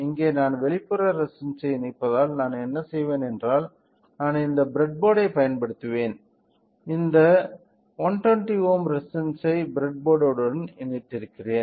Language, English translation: Tamil, So, since here we are connecting external resistor what I will be doing is that I will use this breadboard, I am connecting this 121 ohm resistance to the breadboard hm